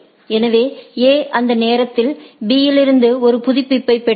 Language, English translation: Tamil, So, if it A receives a update from B during that time